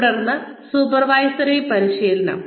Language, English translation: Malayalam, Then, supervisory training